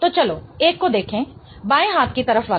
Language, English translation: Hindi, So, let's look at the one with the one on the left hand side